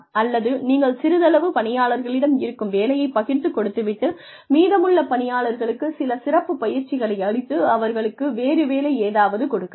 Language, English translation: Tamil, Or, you could redistribute the work, among a fewer employees, and give the remaining employees, some specialized training and give them, something else to do